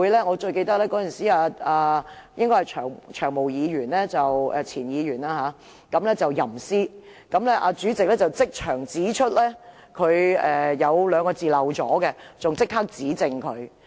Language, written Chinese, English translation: Cantonese, 我最記得有一次"長毛"前議員吟詩，曾鈺成前主席即場指出他說漏了兩個字，更立刻指正他。, I remember most clearly that when Long Hair a former Member recited a poem former President Jasper TSANG pointed out right on the spot that Long Hair had missed out two Chinese characters and corrected him immediately